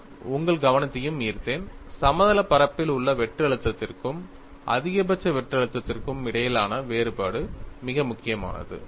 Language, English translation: Tamil, And I also drew your attention, a difference between in plane shear stress and maximum shear stress, very important